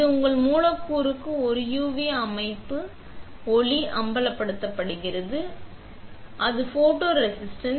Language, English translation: Tamil, It is used to expose a UV light to your substrate that has, you know, the photoresist on it